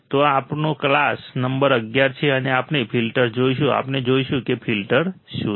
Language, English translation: Gujarati, So, this is our class number 11; and we will look at the filters, we will see what are the filters